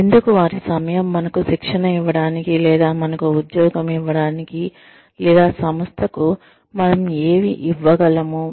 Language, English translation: Telugu, Why should they spend any time, training us, or employing us, or what can we give to the organization